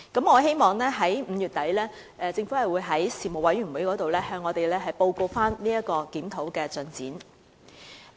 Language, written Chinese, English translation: Cantonese, 我希望政府在5月底的相關事務委員會會議上可以向我們報告檢討的進展。, I hope the Government can report on the review progress to us at the relevant Panel meeting at the end of May